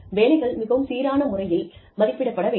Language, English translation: Tamil, Jobs should be evaluated in a very consistent manner